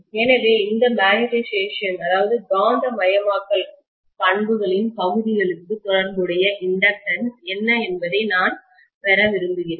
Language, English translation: Tamil, So I want to get what is the inductance corresponding to these portions of the magnetization characteristics